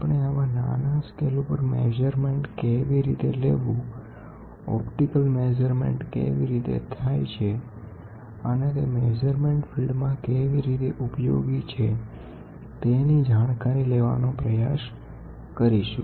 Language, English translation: Gujarati, So, we will try to cover how does the measurement happen at such small scales and also how is optical measurements, going to help us in this measurements field